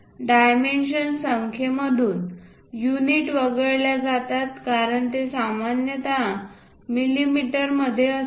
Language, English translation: Marathi, Units are omitted from the dimension numbers since they are normally understood to be in millimeters